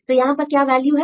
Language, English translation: Hindi, So, you can get the values